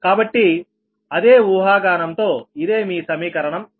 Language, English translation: Telugu, so this, this is your equation sixty